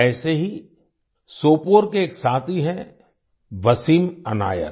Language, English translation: Hindi, Similarly, one such friend is from Sopore… Wasim Anayat